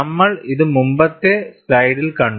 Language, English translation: Malayalam, We had seen it in the previous slide